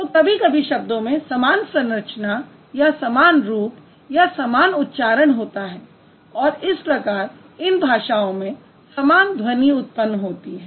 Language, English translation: Hindi, So the words have similar structures or similar forms or similar pronunciation sometimes or similar sounds